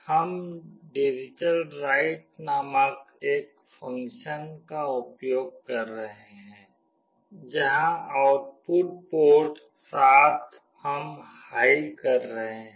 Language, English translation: Hindi, We are using a function called digitalWrite, where the output port 7 we are making high